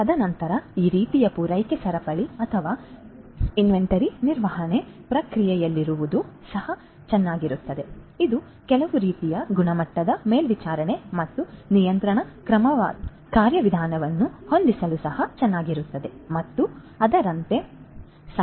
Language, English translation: Kannada, And then it would also be nice to have in this kind of you know supply chain or inventory management process it would be also nice to have some kind of quality monitoring and control mechanism and like that you know so there are different different things that could be that could be achieved